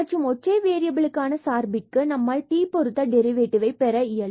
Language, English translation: Tamil, And for function of 1 variable we can get the derivative here with respect to t